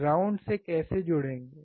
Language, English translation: Hindi, How to connect the ground